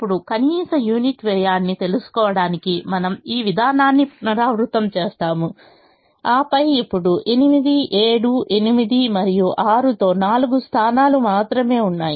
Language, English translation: Telugu, now we repeat this procedure to find out the minimum unit cost, and then there are only four positions now with eight, seven, eight and six